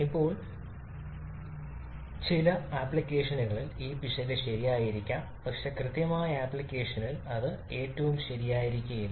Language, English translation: Malayalam, Now this much of error maybe okay in certain application but in precise application that may not be the most correct one